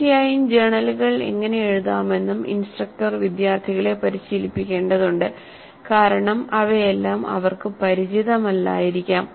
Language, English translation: Malayalam, Of course, instructor may have to train the students in how to write and maintain the journals because all of them may not be familiar